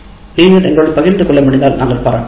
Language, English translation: Tamil, And if you can share with us, we'll appreciate that